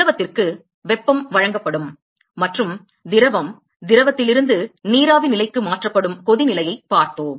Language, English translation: Tamil, we looked at boiling where heat is supplied to the fluid and the fluid is converted from the liquid to the vapor phase